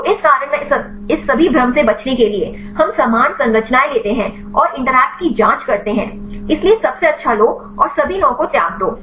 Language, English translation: Hindi, So, in this reason to avoid all this confusion; we take the similar structures and check the interactions; so take the best and discard all the 9